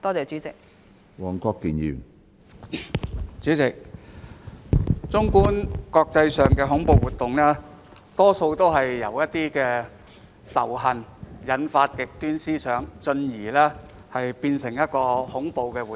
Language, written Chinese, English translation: Cantonese, 主席，綜觀國際上的恐怖活動，大多是由仇恨引發極端思想，進而變成恐怖活動。, President looking at terrorist activities around the world we can see that most of them are driven by extreme ideologies developed from hatred